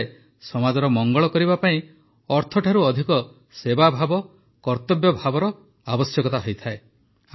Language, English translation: Odia, It is said that for the welfare of the society, spirit of service and duty are required more than money